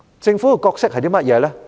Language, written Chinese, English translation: Cantonese, 政府的角色是甚麼？, What is the role of the Government?